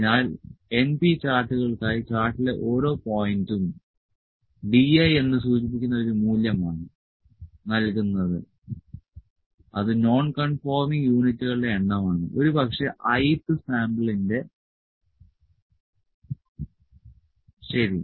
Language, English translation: Malayalam, So, for the np charts, each point in the chart is given by a value node denoted by D i which is the number of nonconforming units maybe of the I th sample, ok